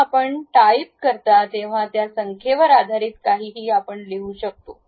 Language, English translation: Marathi, So, when you are typing it it shows the numbers, based on that you can really write it